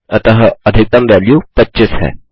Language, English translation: Hindi, So the maximum value is 25